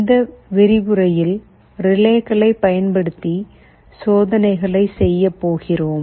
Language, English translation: Tamil, In this lecture, we shall be showing you some hands on demonstration experiments using relays